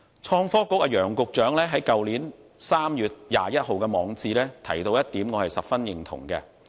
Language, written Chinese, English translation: Cantonese, 創新及科技局局長楊偉雄在去年3月21日的網誌提到一點，我十分認同。, I cannot agree more with the point raised by Secretary for Innovation and Technology Nicholas YANG in his blog on 21 March last year